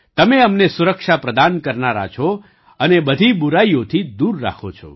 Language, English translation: Gujarati, You are the protector of us and keep us away from all evils